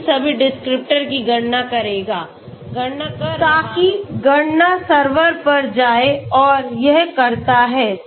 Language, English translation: Hindi, So it will calculate all these descriptors, doing calculations so doing calculations goes to the server and does it okay